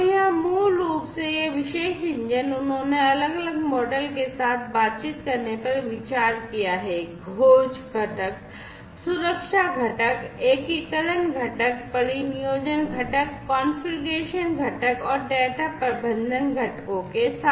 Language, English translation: Hindi, So, here basically this particular engine, they have considered to be interacting with alarms different models, discovery component, security components, integration components, deployment components, configuration components, and data management components